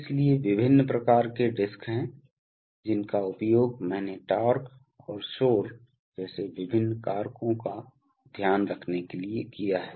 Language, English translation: Hindi, So there are various kinds of discs, which are used as I said to take care of various factors like torque and noise